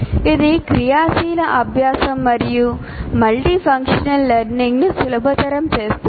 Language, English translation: Telugu, And it facilitates, first of all, active learning, multifunctional learning